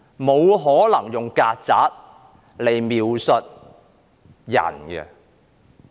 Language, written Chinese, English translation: Cantonese, 沒可能用"曱甴"來描述人的。, The word cockroach just should not be used to describe people